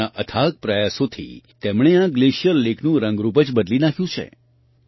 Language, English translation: Gujarati, With his untiring efforts, he has changed the look and feel of this glacier lake